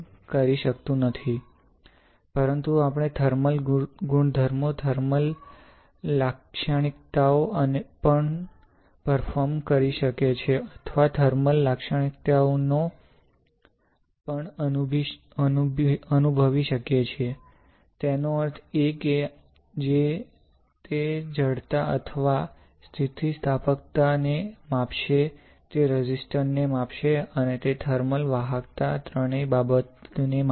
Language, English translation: Gujarati, But, also do or we can also perform the thermal properties, thermal characteristics or also sense the thermal characteristics; that means, that it will measure the stiffness or elasticity, it will measure resistance, and it will measure the thermal conductivity all three things